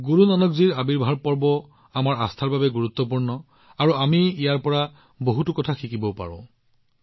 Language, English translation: Assamese, As much as the Prakash Parv of Guru Nanak ji is important for our faith, we equally get to learn from it